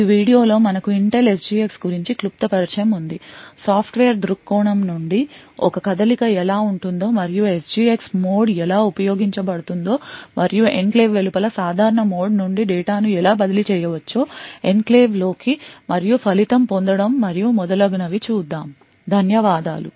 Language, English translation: Telugu, In this video we had a brief introduction to Intel SGX in the next video will look at how a move from a software perspective and see how applications are written how the SGX mode is used and how data can be transferred from a normal mode outside the enclave into the enclave and get the result and so on, thank you